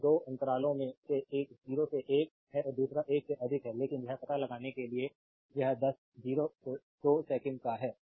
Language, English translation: Hindi, So, that you have 2 intervals one is 0 to 1 and another is t greater than 1, but you have to find out in between 0 to 2 second